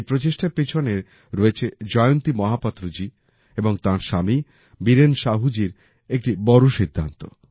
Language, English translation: Bengali, Behind this effort is a major decision of Jayanti Mahapatra ji and her husband Biren Sahu ji